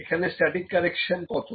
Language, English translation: Bengali, So, what is the static error